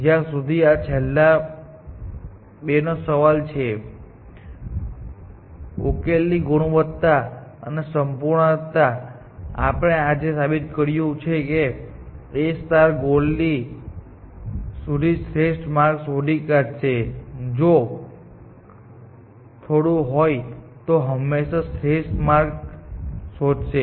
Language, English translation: Gujarati, As far as the last two of these are concerned, the quality of solution and completeness, we have proved today, that A star will find a path to the goal, if there is a little, find an optimal path, always